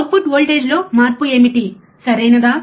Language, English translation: Telugu, What is the change in the output voltage, right